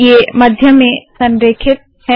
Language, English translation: Hindi, This is center aligned now